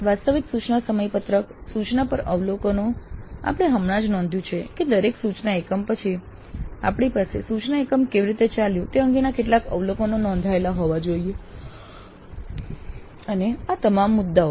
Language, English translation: Gujarati, Then the actual instructions schedule, then observations on instruction, as we just now after every instructional unit we must have some observations recorded regarding how the instruction unit went and all these issues